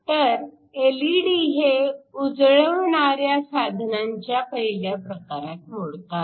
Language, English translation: Marathi, So, LED's belong to the general category of luminescent devices